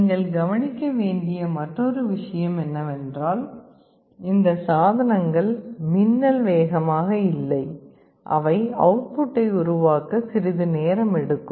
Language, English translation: Tamil, The other point you note is that these devices are not lightning fast; they take a little time to generate the output